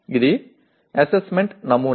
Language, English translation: Telugu, This is the assessment pattern